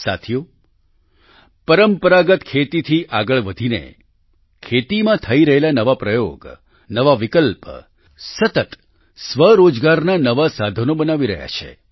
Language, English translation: Gujarati, moving beyond traditional farming, novel initiatives and options are being done in agriculture and are continuously creating new means of selfemployment